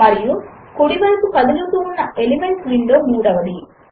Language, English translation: Telugu, And the third is the Elements window that floats on the right